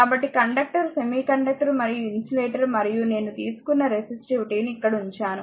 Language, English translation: Telugu, So, may conductor semiconductor and insulator and there resistivity something I have taken I have kept it here right